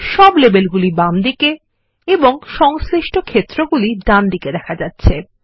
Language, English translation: Bengali, It shows all the labels on the left and corresponding fields on the right